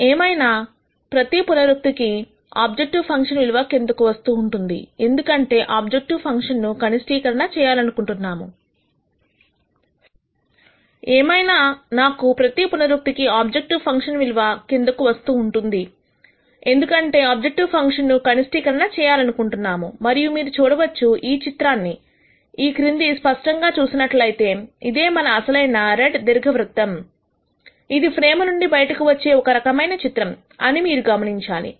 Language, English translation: Telugu, Nonetheless all I want you to notice is that at every iteration the value of the objective function keeps coming down because we are trying to minimize the objective function, and you can see the kind of improvement you get as we keep zooming down this picture, this was our original red elliptical contour which is kind of going outside the frame